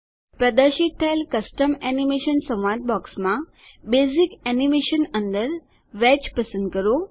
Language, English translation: Gujarati, In the Custom Animation dialog box that appears, under Basic Animation, select Wedge